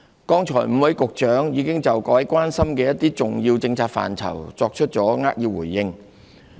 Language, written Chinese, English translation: Cantonese, 剛才5位局長已就各位關心的一些重要政策範疇作出扼要回應。, Five Bureau Directors have given just now concise responses in respect of some key policy areas of concern to Members